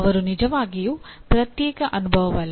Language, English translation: Kannada, They are not really isolated experience